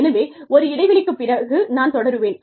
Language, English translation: Tamil, So, I will continue, after a break